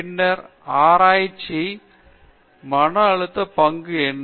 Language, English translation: Tamil, Then, what is the role of stress in research